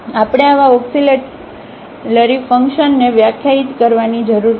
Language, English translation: Gujarati, So, we need to define such an auxiliary function